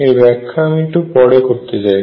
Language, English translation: Bengali, Let me explore that a bit more